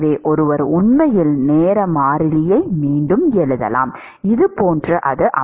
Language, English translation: Tamil, So, one could actually rewrite the time constant as, something like this